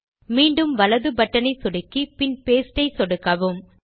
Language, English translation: Tamil, Again right click on the mouse and click on the Paste option